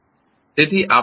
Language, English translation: Gujarati, So, what we will do